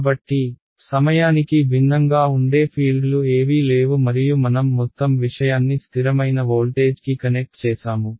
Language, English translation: Telugu, So, there are no fields that are varying in time and what I have done is I have connected this whole thing to a constant voltage